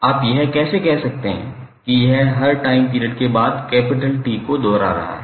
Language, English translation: Hindi, So, how you will say that it is repeating after every time period capital T